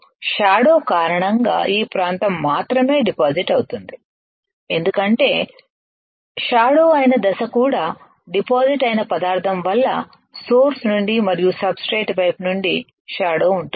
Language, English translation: Telugu, Only this area gets deposited because of the shadow that is because of the step that is a shadow also because of the material that is deposited there is a shadow from the source right and from the substrate side